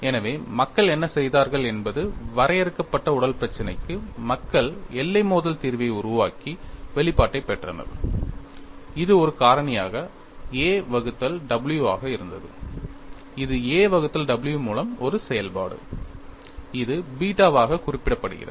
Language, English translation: Tamil, So, what people have done is, for finite body problem, people develop boundary collocation solution and obtained expression, it had a factor a by w a function in terms of a by w, which is represented as beta